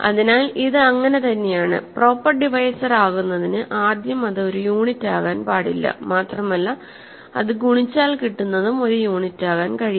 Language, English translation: Malayalam, So, this is in so, in order to be a proper divisor first of all it cannot be a unit and it that what it multiplies to cannot also be a unit